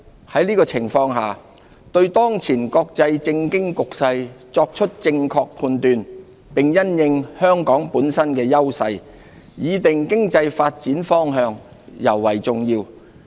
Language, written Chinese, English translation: Cantonese, 在這情況下，對當前國際政經局勢作出正確判斷，並因應香港本身的優勢，擬訂經濟發展方向，尤為重要。, Under such circumstances it is all the more important for us to have a sound judgement of the prevailing global political and economic landscape and set the direction for Hong Kongs economic development with due regard to our own strengths